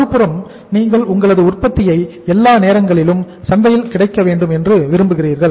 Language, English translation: Tamil, On the other side you want to make sure that your market your product is all the times available in the market